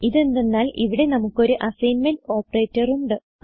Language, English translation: Malayalam, Come back to our program This is because here we have an assignment operator